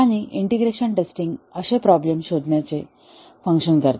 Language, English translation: Marathi, And integration testing, targets to detect such problems